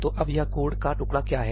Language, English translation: Hindi, So, what is this piece of code now